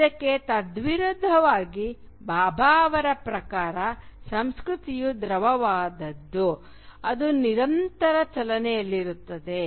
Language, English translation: Kannada, On the contrary, culture for Bhabha is something which is fluid, something which is perpetually in motion